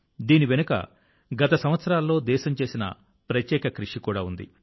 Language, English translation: Telugu, There is also a special contribution of the country in the past years behind this